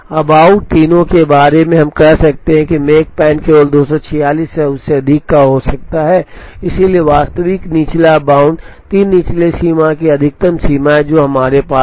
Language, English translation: Hindi, Now, out of the three, we could say now that, the makespan can only be the 246 or more, so the actual lower bound is the maximum of the three lower bounds that we have